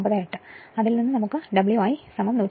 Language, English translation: Malayalam, 98 from which we will get W i is equal to 153 Watt